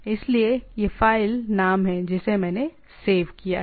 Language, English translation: Hindi, So, this is the file name I saved